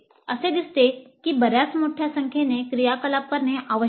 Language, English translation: Marathi, It looks like a very large number of activities need to be performed